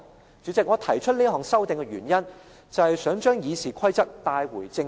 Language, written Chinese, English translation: Cantonese, "代理主席，我提出這項修訂的原因，就是想將《議事規則》帶回正軌。, Deputy President I propose this amendment as I want to put RoP back on the right track